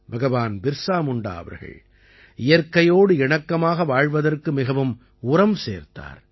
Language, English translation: Tamil, Bhagwan Birsa Munda always emphasized on living in harmony with nature